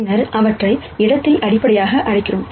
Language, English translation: Tamil, Then we call them as a basis for the space